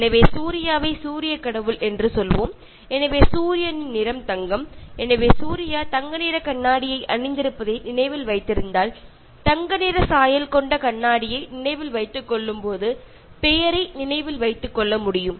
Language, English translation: Tamil, So, let us say Surya of Sun God, so the color of Sun is gold, so if you remember Surya wearing a gold tinted spectacles, so you will be able to remember the name as and when you remember gold tinted spectacles